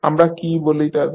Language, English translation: Bengali, What we call them